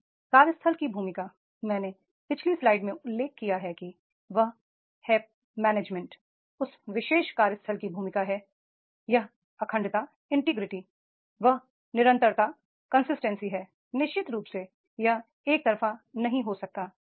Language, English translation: Hindi, Now the role of the workplace I have mentioned in the previous slide that is the management, the role of that particular workplace that is this consistency integrity that consistency definitely it cannot be one sided